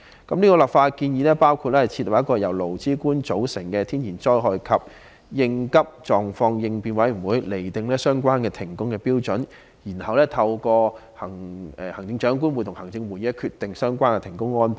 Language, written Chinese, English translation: Cantonese, 這項立法建議包括設立由勞、資、官組成的天然災害及緊急狀況應變委員會，釐定停工的準則，然後由行政長官會同行政會議決定相關的停工安排。, Under this legislative proposal a natural disaster and emergency response committee will be formed by employees employers and the Government to determine the criteria for work suspension . Then the Chief Executive in Council will make decision on the arrangement for work suspension